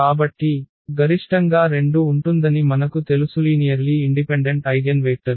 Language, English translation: Telugu, So, we know that there will be at most 2 linearly independent eigenvectors